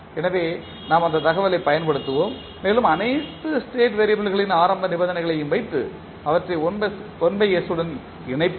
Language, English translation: Tamil, So, we will utilized that information and we will put the initial conditions of all the state variable and connect them with 1 by s